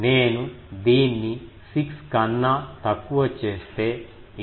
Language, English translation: Telugu, If I make it 6 but make it less, this becomes 8